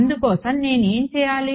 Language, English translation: Telugu, So, what would I have to do